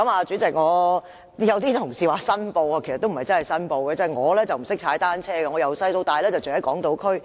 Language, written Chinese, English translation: Cantonese, 主席，有同事說要申報，其實也不是真正申報：我不懂踏單車，我從小到大都住在港島區。, President an Honourable colleague has made a declaration of interest . It is not really a declaration of interest I do not know how to ride a bicycle . I grew up living on Hong Kong Island